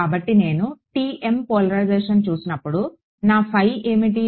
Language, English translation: Telugu, So, when I looked at TM polarization, so, what was my phi